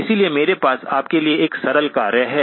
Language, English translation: Hindi, So I have a simple task for you